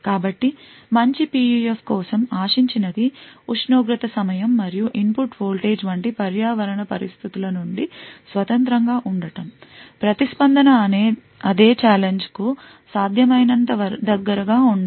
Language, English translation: Telugu, So, what is expected for a good PUF is that independent of these environmental conditions like temperature, time and input voltage, the response should be as close as possible for the same challenge